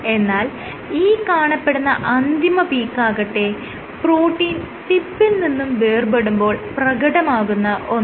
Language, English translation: Malayalam, The last peak, this peak corresponds to detachment of protein from tip